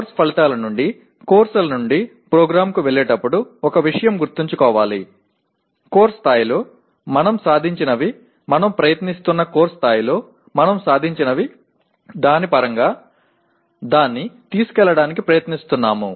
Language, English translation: Telugu, One thing needs to be remembered as we go up from Course Outcomes, courses to the program, the whatever we have attained at the course level we are trying to take it towards in terms of what we have attained at the course level we are trying to determine the attainment of POs and PSOs